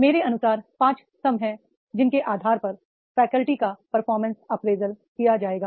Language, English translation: Hindi, So according to me, there are the five pillars on basis of which the performance of a faculty will be apprised